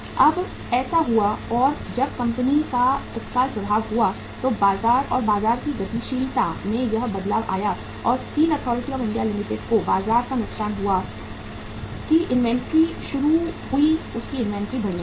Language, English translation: Hindi, Now that happened and when that happened the immediate effect of the company, the this change in the market and the market dynamics was and the loss of the market to Steel Authority of India Limited that the inventory started, their inventory started mounting